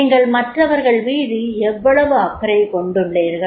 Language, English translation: Tamil, How much you are concerned with others